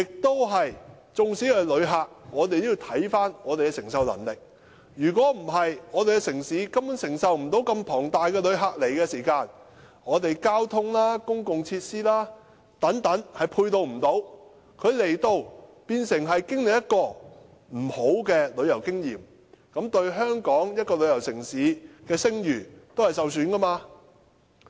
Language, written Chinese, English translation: Cantonese, 對於旅客，我們也要考慮我們的承受能力；否則，我們的城市根本承受不到龐大的旅客量，我們的交通、公共設施等都不能配套，只會令旅客有不愉快的旅遊經驗，也會令香港這個旅遊城市的聲譽受損。, We have to consider our capacity of receiving visitors; otherwise our city simply cannot cope with a huge amount of visitors . As we lack supporting transport and public facilities visitors may have an unpleasant experience in Hong Kong and the reputation of Hong Kong as a tourism city will be damaged